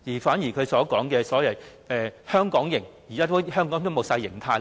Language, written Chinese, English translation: Cantonese, 反而他所謂的"香港營"，現時在香港已經是全無形態可言。, Instead of seeing the Hong Kong camp he referred to we can actually observe that there is not any form of unity in Hong Kong